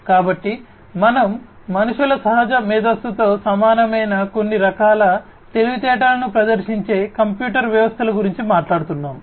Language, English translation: Telugu, So, we are talking about computer systems exhibiting some form of intelligence which is very similar to the natural intelligence of human beings, right